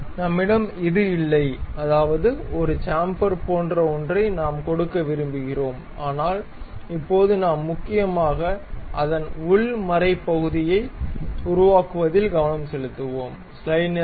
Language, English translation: Tamil, We are not having this, I mean we would like to give something like a chamfer we can really construct that and so on, but now we will mainly focus on constructing the internal threat portion of that